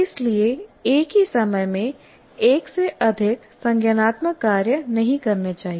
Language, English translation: Hindi, It cannot perform two cognitive activities at the same time